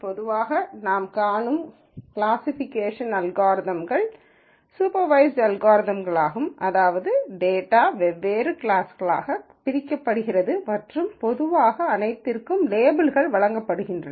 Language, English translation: Tamil, In general, typical classification algorithms that we see are usually supervised algorithms, in the sense that the data is partitioned into different classes and these labels are generally given